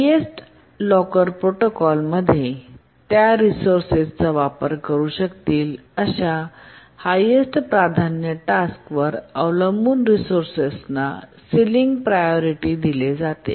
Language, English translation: Marathi, In the highest locker protocol, sealing priorities are assigned to resources depending on what is the highest priority task that may use that resource